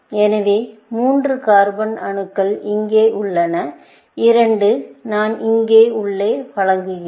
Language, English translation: Tamil, So, 3 carbon atoms are here; 2, I buy it inside here